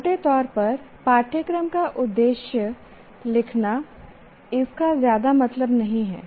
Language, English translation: Hindi, Broadly writing a aim of the course doesn't mean much